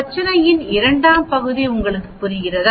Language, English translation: Tamil, Do you understand the second part of the problem